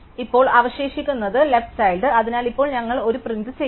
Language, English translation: Malayalam, And now, there are no left child, so now we will print out 1